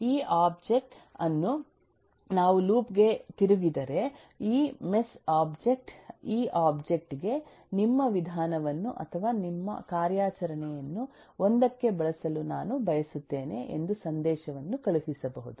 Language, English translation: Kannada, This object, say, if we just turn over to loop this mess, object can send a message to this object saying that I want to use your method or your operation to 1